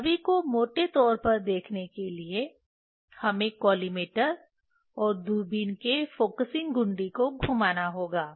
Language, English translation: Hindi, to see that one roughly we have to just rotate the focusing knob of collimator and the telescope to look at the image